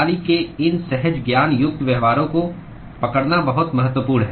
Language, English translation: Hindi, It is very, very important to capture these intuitive behaviors of the system